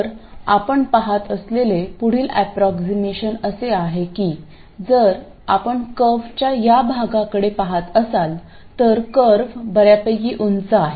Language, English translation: Marathi, So, the next approximation that you see is that if you look at this part of the curve, the curve is quite steep